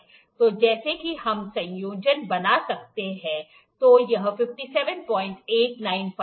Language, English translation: Hindi, So, as we can make it the combination, so it is 57